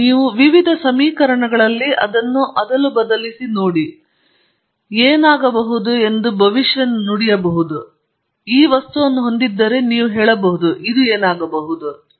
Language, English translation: Kannada, They said this is the property, you substitute it that into the different transport equations, you predicted what would happen, and you say if you have this material, this is what will happen